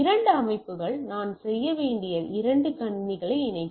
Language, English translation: Tamil, So, two systems, we to connect two computers what I need to do